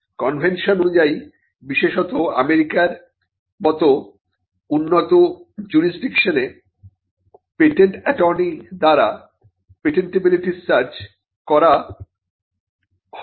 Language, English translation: Bengali, By convention, especially in the advanced jurisdictions like United States, a patentability search is not done by the patent attorney